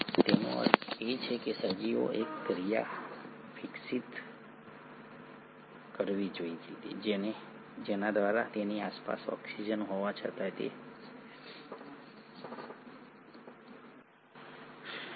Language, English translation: Gujarati, That means the organism should have evolved a process by which despite having oxygen around it should be able to survive